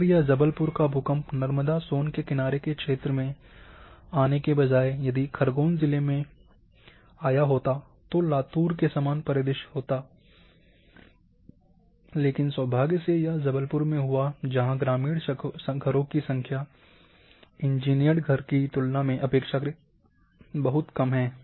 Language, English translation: Hindi, Even if this Jabalpur earthquake instead of occurring here along this Narmada son lineament if it would not have occurred on in Khargon district then similar scenarios like Latur would have happen, but luckily instead it occurred in Jabalpur where number of rural houses are relatively less compare to engineered house